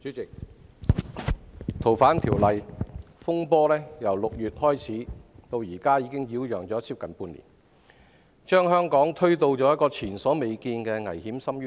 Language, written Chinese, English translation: Cantonese, 主席，修訂《逃犯條例》引致的風波，由6月至今已擾攘接近半年，並將香港推到前所未見的危險深淵。, President the turmoil arising from the amendments to the Fugitive Offenders Ordinance has been going on for nearly half a year since June . It has pushed Hong Kong to an abyss of danger that we have never seen before